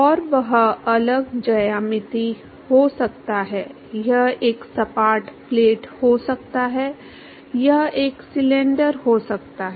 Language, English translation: Hindi, And that could be different geometric, it could be a flat plate it could be a cylinder